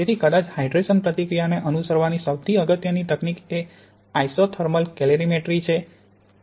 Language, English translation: Gujarati, So perhaps the foremost technique for following the hydration reaction is isothermal calorimetry